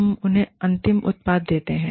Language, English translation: Hindi, We give them the end product